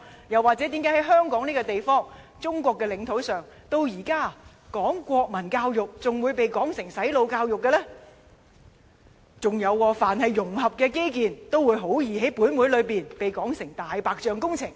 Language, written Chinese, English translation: Cantonese, 又或是，習主席或會問為何香港這個地方，在中國的領土下，至今推行國民教育仍會被說成是"洗腦"教育的呢？再者，凡是融合基建，也很易在立法會被說成"大白象"工程。, Or perhaps President XI would have asked why national education was still considered as brainwashing in Hong Kong a place ruled by China and why all cross - boundary infrastructure projects were almost automatically referred to as white elephant projects in the Legislative Council